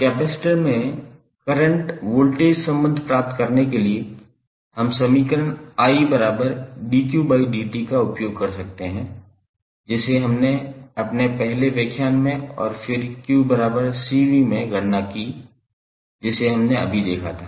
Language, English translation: Hindi, Now, to obtain current voltage relationship in a capacitor, we can use the equation I is equal to dq by dt, this what we calculated in our first lecture and then q is equal to C V which we just now saw